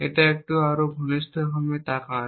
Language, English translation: Bengali, So, let us look at it a little bit more closely